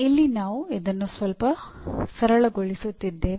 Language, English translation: Kannada, Here we are making this look somewhat simple